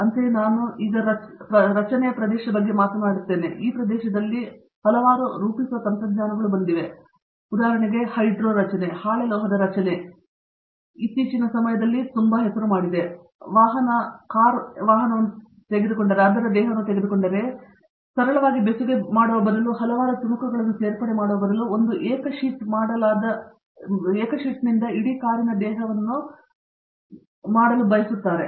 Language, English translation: Kannada, Similarly, now if I take forming as an area, there are new forming technologies that have come up, for example, Hydro forming, Sheet metal forming has taken up big you know straights in recent times, for trying to get the whole for example, if I take automotive car body, these people want to have the whole car body made up of 1 single sheet, instead of simply welding and joining a number of pieces